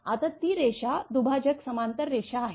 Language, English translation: Marathi, Now, it line is bifurcated parallel line